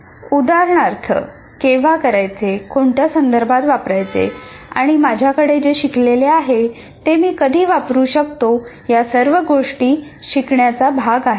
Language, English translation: Marathi, For example, when to use, in what context to use, when can I use this particular learning that I have, that is also part of the learning